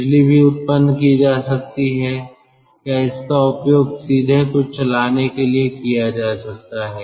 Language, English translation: Hindi, electricity can also be generated or it can be used for directly driving something